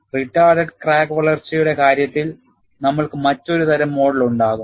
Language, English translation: Malayalam, In the case of retarded crack growth, we will have a different type of model